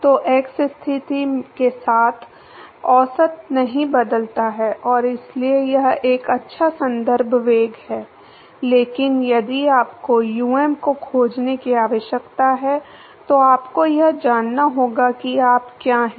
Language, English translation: Hindi, So, the average does not change with x position and so, it is a good reference velocity, but if you need to find um you need to know what u is